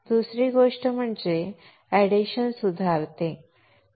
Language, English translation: Marathi, Second thing is that it will improve the adhesion